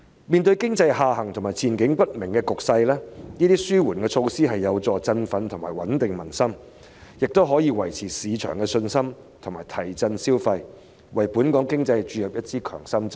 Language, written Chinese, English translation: Cantonese, 面對經濟下行及前景不明的局勢，這些紓緩措施將有助振奮及穩定民心，亦可維持市場信心及提振消費，為本港經濟注入一支強心針。, Given the economic downturn and uncertain prospects these relief measures will be conducive to boosting and stabilizing public sentiment maintaining market confidence driving consumption and providing a shot in the arm for the Hong Kong economy